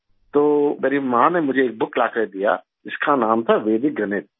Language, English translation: Urdu, So, my mother brought me a book called Vedic Mathematics